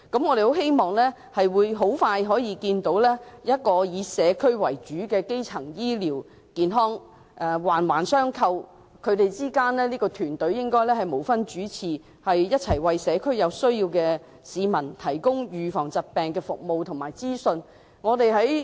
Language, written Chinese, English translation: Cantonese, 我們希望可以快將看到以社區為主、環環相扣的基層醫療健康服務，而團隊之間亦應無分主次，一同為社區上有需要的市民提供疾病預防服務及資訊。, We hope to see the provision of community - based primary health care services with various interlocking segments very soon . And without any distinction in their importance various teams should join hands to provide needy people with disease prevention services and information in communities